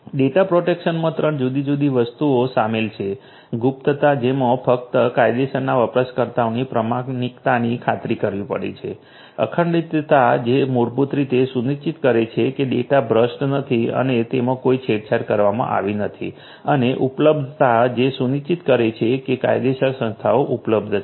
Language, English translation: Gujarati, Data protection includes three different things confidentiality which has to ensure authorization of only the legitimate user’s integrity which basically talks about ensuring that the data is uncorrupted and it has not been tampered with and availability which has to ensure that the legal entities are available